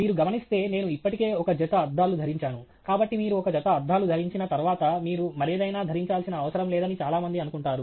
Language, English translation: Telugu, As you can see, I am already wearing a pair of glasses okay; so a lot of people assume that once you wear a pair of glasses, you donÕt need to wear anything else